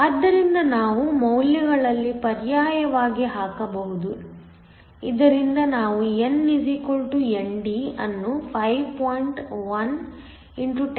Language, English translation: Kannada, So, we can substitute in the values, so that we get n = ND just equal to 5